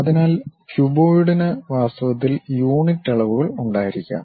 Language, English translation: Malayalam, So, the cuboid might be having unit dimensions in reality